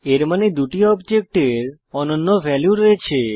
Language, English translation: Bengali, This means that the two objects have unique values